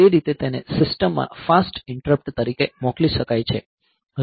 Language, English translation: Gujarati, So, that way, so that can be sent as a fast interrupt to the system